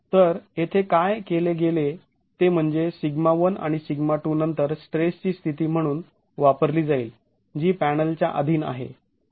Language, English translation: Marathi, So here what has been done is that sigma 1 and sigma 2 is then used as the state of stress that is going to be what the panel is subjected to